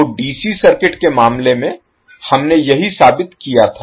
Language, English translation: Hindi, So, this is what we proved in case of DC circuit